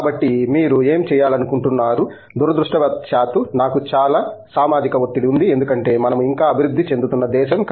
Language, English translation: Telugu, So, whatever you want to do, we have a lot of societal pressure unfortunately because we are still a developing country